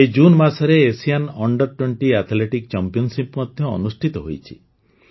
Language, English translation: Odia, The Asian under Twenty Athletics Championship has also been held this June